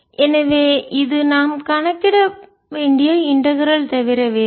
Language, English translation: Tamil, so this is nothing but the integral which we have to calculate